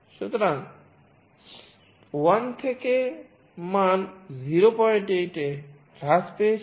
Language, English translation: Bengali, So, the value from 1 has been reduced to 0